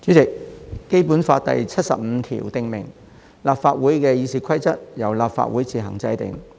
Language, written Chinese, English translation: Cantonese, 主席，《基本法》第七十五條訂明："立法會議事規則由立法會自行制定"。, President Article 75 of the Basic Law stipulates that the Rules of Procedure of the Legislative Council shall be made by the Council on its own